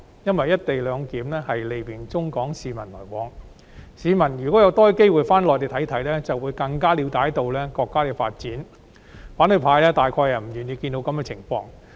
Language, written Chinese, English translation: Cantonese, "一地兩檢"利便中港市民的來往，如果香港市民有更多機會返回內地，便會更了解國家的發展，反對派大概是不願意看到這情況。, If given more opportunities to go to the Mainland Hong Kong people would find out more about the development of our country . This is probably what the opposition camp did not want to see